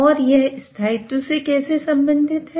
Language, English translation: Hindi, And how is it related to stability